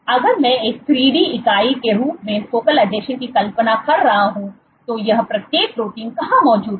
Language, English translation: Hindi, So, if I were to imagine the focal adhesion as a 3D entity, where are each of these proteins present